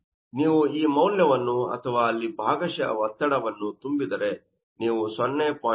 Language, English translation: Kannada, So, if you substitute this value or partial pressure there, then you can have this value of 0